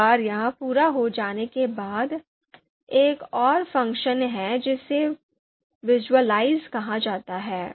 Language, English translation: Hindi, Once this is done, there is another function that is available to us called visualize